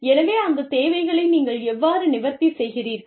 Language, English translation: Tamil, So, you know, how do you address, those needs